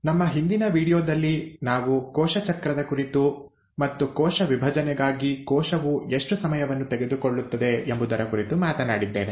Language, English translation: Kannada, In our previous video, we spoke about cell cycle and we did talk about how much time a cell spends in preparing itself for cell division